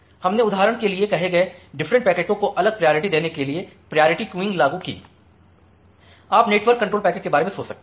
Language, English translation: Hindi, So, we applied priority queuing to give different priority to different packets say for example, you can think of the network control packets